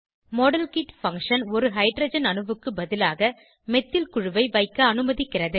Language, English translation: Tamil, The Modelkit function allows us to substitute a Hydrogen atom with a Methyl group